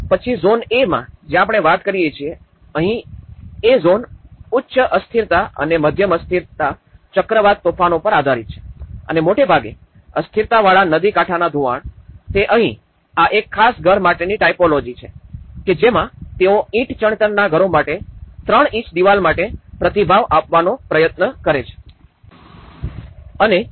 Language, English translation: Gujarati, Then in the zone A, where we talk about, here, this is the zone A and it is based on the high vulnerability and medium vulnerability cyclonic storms and mostly, low vulnerability riverbank erosion, so here, this particular typology, this is a typology of a house where they try to document it and this response to brick masonry houses with three inch walls which are most common